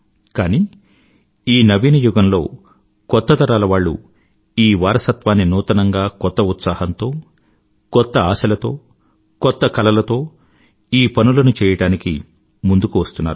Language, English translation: Telugu, But, in this new era, the new generation is coming forward in a new way with a fresh vigour and spirit to fulfill their new dream